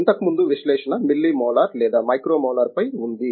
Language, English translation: Telugu, Previously analysis is on the milli molar or micro molar now it is not